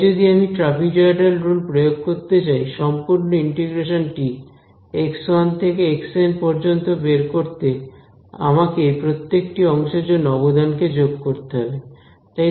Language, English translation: Bengali, So, if I want to just apply this trapezoidal rule to find out the whole integral from x 1 to x n, I just have to add the contribution for each of these segments correct